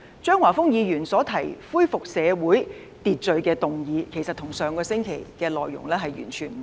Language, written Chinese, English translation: Cantonese, 張華峰議員所提出恢復社會秩序的議案，其實與上周提出議案內容完全不同。, The motion proposed by Mr Christopher CHEUNG with regard to restoration of social order is indeed entirely different from the one proposed last week